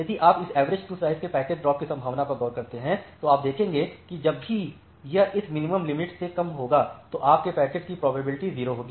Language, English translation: Hindi, So, if you look into the packet drop probability of this average queue size you will see whenever it is less than this minimum threshold your packet the probability is 0